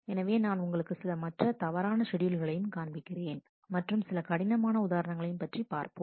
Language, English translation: Tamil, So, let us let me show you number of other bad schedules, and let me a little bit more complex examples